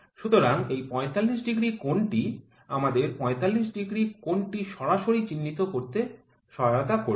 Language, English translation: Bengali, So, this 45 degree angle would help us to mark the 45 degree angle directly